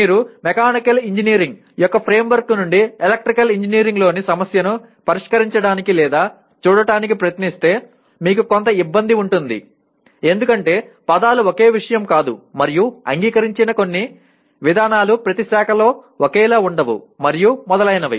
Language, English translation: Telugu, If you try to solve or look at a problem in Electrical Engineering from the framework of Mechanical Engineering you can have some difficulty because the words do not mean the same thing and some of the accepted procedures are not the same in each branch and so on